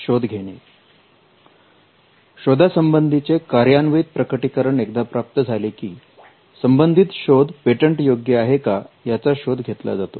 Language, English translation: Marathi, Once you have a working disclosure, you do a search to understand whether the invention can be patented